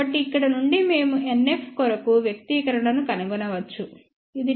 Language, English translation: Telugu, So, from here we can find the expression for NF which is 10 to the power NF dB divided by 10